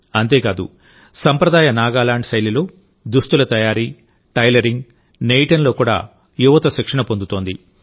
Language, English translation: Telugu, Not only this, the youth are also trained in the traditional Nagaland style of apparel making, tailoring and weaving